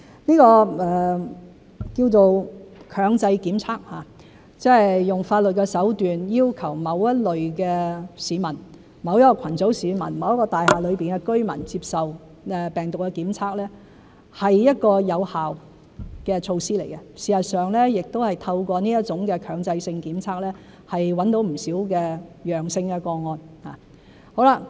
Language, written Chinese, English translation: Cantonese, 這個稱為強制檢測的行動，即是用法律的手段要求某一類市民、某一個群組的市民、某一座大廈內的居民接受病毒檢測，是一個有效的措施，事實上亦透過這種強制性檢測找到不少陽性個案。, This operation known as compulsory testing is an effective measure under which a certain category or group of people or residents of a certain building are required by law to be tested for the virus . In fact we have identified quite a number of positive cases through this kind of compulsory testing